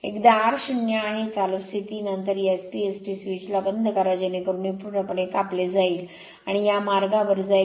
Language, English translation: Marathi, Once r is 0 right; the running condition then you close this SP ST switch such that this will be completely cut off and this will the path right